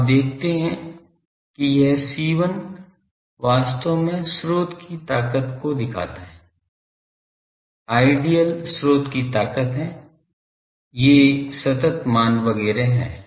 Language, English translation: Hindi, So, you see this C1 actually represents the source strength Idl is the strength of the source these are the constants etcetera